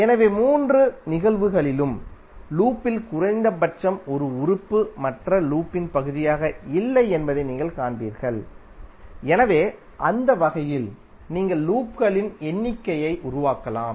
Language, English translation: Tamil, So in all the three cases you will see that at least one element in the loop is not part of other loop, So in that way you can create the number of loops